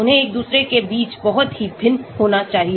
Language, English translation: Hindi, They should be very dissimilar between each other